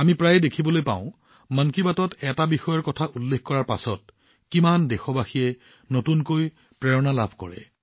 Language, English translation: Assamese, We often see how many countrymen got new inspiration after a certain topic was mentioned in 'Mann Ki Baat'